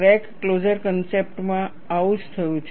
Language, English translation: Gujarati, That is what happened in crack closure concept